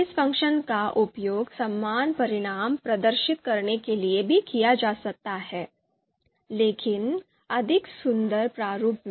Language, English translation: Hindi, So this function can also be used to display the same results, but in a more you know you know more beautiful format